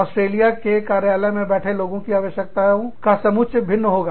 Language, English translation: Hindi, People sitting in the office, in Australia, will have a different set of needs